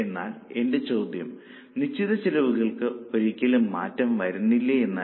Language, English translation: Malayalam, But my question was, does it mean that fixed cost never changes at all